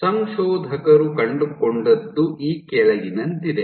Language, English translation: Kannada, So, what the authors found is as follows